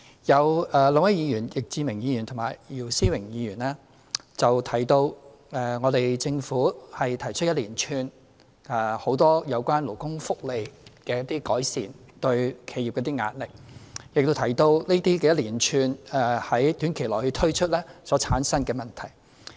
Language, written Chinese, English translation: Cantonese, 有兩位議員——易志明議員和姚思榮議員——提到，政府提出一連串有關勞工福利的改善措施對企業帶來壓力，亦提到這一連串在短期內會推出的措施所產生的問題。, Two Members Mr Frankie YICK and Mr YIU Si - wing mentioned that the series of initiatives for improving labour welfare put forward by the Government would put enterprises under more pressure and they also mentioned the possible problems brought by these measures which will be implemented shortly